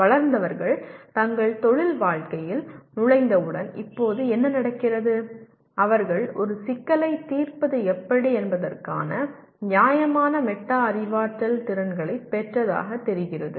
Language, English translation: Tamil, Now what happens grownup people once they get into their professional life they seem to have acquired reasonable metacognitive skills of how to go about solving a problem